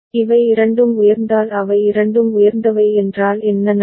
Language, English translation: Tamil, If both of them are high both of them are high, then what will happen